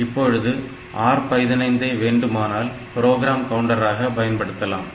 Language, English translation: Tamil, So, what you can do R 15 is the program counter